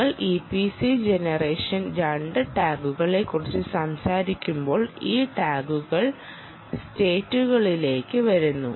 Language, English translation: Malayalam, when you talk about e p c gen two tags, these tags come into states